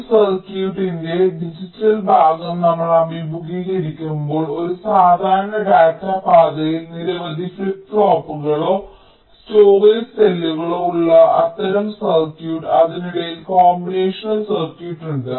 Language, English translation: Malayalam, now, in a typical data path, when digital portion of a circuit, we encounter such kinds of circuit where there are a number of flip pops or storage cells, there are combination circuits in between